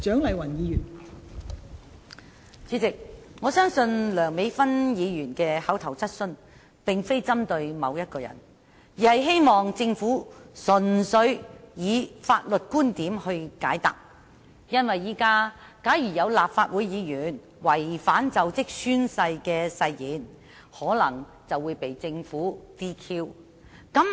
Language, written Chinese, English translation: Cantonese, 代理主席，我相信梁美芬議員的口頭質詢並非針對某一個人，而是希望政府純粹以法律觀點來解答，因為現時假如有立法會議員違反就職宣誓的誓言，便可能會被政府取消資格。, Deputy President I do not think that Dr Priscilla LEUNGs oral question is directed at any particular individuals . Rather she hopes that the Government can answer the question from the legal perspective . At present if a Legislative Council Member has violated the oath of office he may be disqualified by the Government